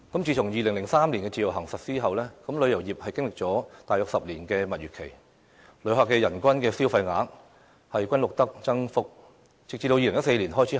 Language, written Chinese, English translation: Cantonese, 自從2003年實施自由行後，旅遊業經歷了大約10年的蜜月期，每年旅客的人均消費額均錄得增幅，直至2014年開始下跌。, Since the launch of the Individual Visit Scheme in 2003 our tourism industry experienced a honeymoon period for about a decade during which the visitor per capita spending increased every year until 2014